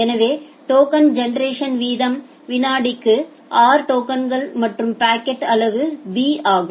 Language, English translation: Tamil, So, the token generation rate is r tokens per second and the bucket size is b